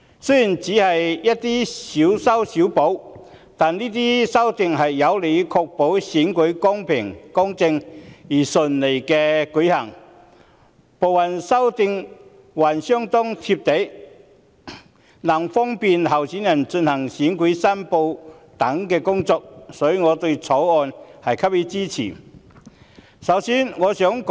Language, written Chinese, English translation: Cantonese, 雖然這些修訂只屬"小修小補"，但有利確保選舉公平公正並順利地舉行，部分修訂還相當"貼地"，利便候選人進行選舉申報等工作，所以我支持《條例草案》。, Whilst these amendments amount to only small patch - ups they are conducive to ensuring that the elections are smoothly conducted in a fair and just manner . Some of the amendments are quite down - to - earth and they will facilitate candidates in handling such tasks as electoral declaration so I support the Bill